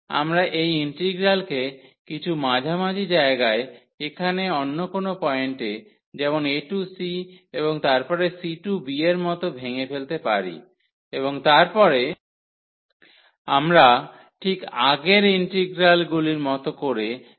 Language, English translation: Bengali, We can also break this integral at some middle at some other point here like a to c and then c to b and then we can handle exactly the integrals we have handled before